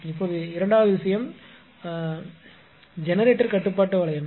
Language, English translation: Tamil, Now, second thing is the basic generator control loop right